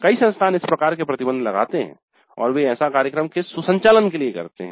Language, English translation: Hindi, Many institutes impose this restriction and that is from the convenience of administration of the program